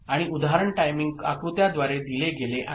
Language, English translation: Marathi, And, the example is given through timing diagram right